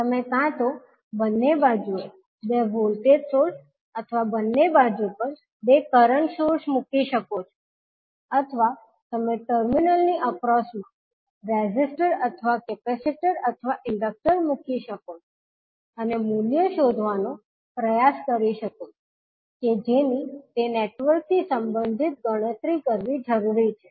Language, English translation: Gujarati, You can either put two voltage sources on both sides or two current sources on both sides, or you can put the resistor or capacitor or inductor across the terminal and try to find out the values which are required to be calculated related to that particular network